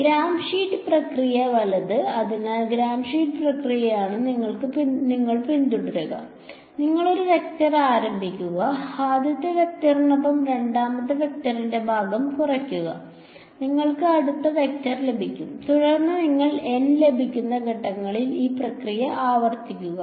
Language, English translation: Malayalam, Gram Schmidt process right; so, Gram Schmidt process is what you would follow, you take one vector start keep that the first vector, subtract of the part of the second vector along the first vector you get the next vector and you repeat this process in N steps you get N vectors that are all orthogonal to each other right